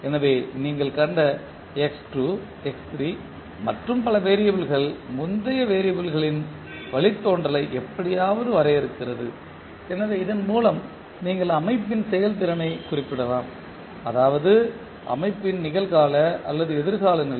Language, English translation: Tamil, So, the variable which you have seen x2, x3 and so on are somehow defining the derivative of the previous variable so with this you can specify the system performance that is present or future condition of the system